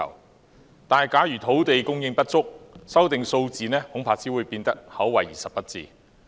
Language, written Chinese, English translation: Cantonese, 然而，假如土地供應不足，調整數字恐怕只會是口惠而實不至。, However if the supply of land is inadequate I am afraid any adjustment to the numbers will only be lip service